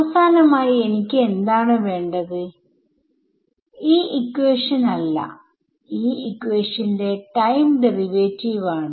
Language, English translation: Malayalam, So, finally, what I am wanting to look at, not this equation, but the time derivative of this equation right